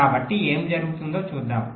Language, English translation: Telugu, let say what happens here